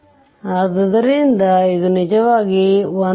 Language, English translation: Kannada, So, this is your, it is it comes actually 1